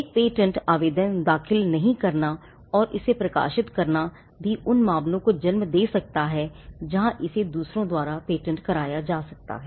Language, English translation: Hindi, Now, not filing a patent application and merely publishing it could also lead to cases where it could be patented by others